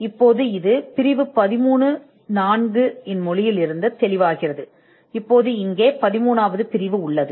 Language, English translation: Tamil, Now, this is clear from the language of section 13, now we have section 13 here